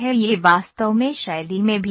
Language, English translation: Hindi, This is actually at style as well